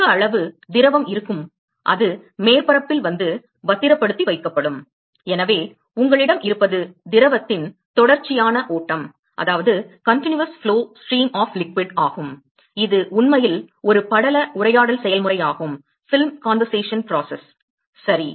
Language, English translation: Tamil, there will be more amount of liquid which will come and deposit on the surface and so, what you will have is a continues flow stream of liquid which is actually a film conversation process, ok